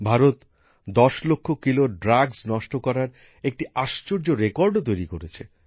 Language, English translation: Bengali, India has also created a unique record of destroying 10 lakh kg of drugs